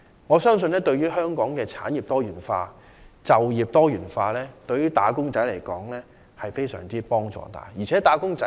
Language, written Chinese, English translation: Cantonese, 我相信，對於香港的產業及就業多元化，以及對於"打工仔"而言，均會帶來很大幫助。, I believe that this will do much help to Hong Kongs diversified development of industries and job opportunities and also to employees